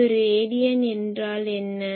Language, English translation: Tamil, So, what is one radian